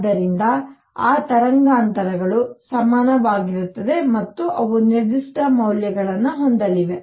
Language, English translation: Kannada, So, those frequencies are going to be equal and they are going to have very specific values